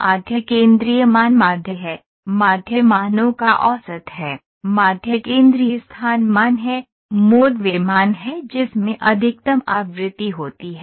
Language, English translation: Hindi, mean is the central value median, mean is actually the average of the values, median is the central location value, mode is the value that is an maximum frequency ok